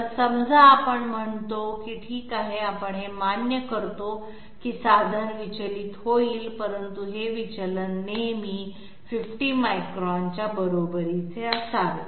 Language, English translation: Marathi, So suppose we say that okay we accept that the tool will be deviating, but this deviation should always be equal to 50 microns